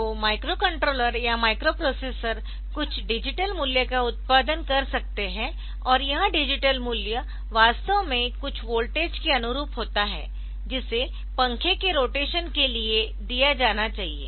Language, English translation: Hindi, So, microcontroller or microprocessor so it can produce some digital value and that digital value is actually corresponding to some, some voltage that should be fed to the fan for its rotation